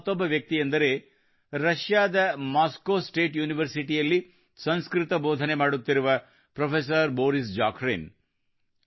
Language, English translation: Kannada, Another such professor is Shriman Boris Zakharin, who teaches Sanskrit at Moscow State University in Russia